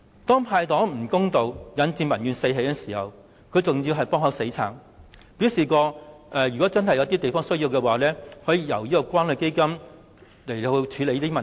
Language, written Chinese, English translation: Cantonese, 當"派糖"不公道，引致民怨四起時，特首還"幫口死撐"，表示有需要時可由關愛基金處理相關問題。, When the unfair distribution of candies has aroused widespread grievances in the community the Chief Executive gives her desperate support to the Budget and says that the problems may be handled by the Community Care Fund CCF if necessary